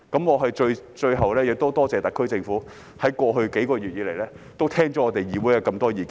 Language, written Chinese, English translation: Cantonese, 我最後要多謝特區政府，在過去幾個月聆聽議會的多項意見。, Finally I would like to thank the SAR Government for listening to the many opinions of this Council over the past few months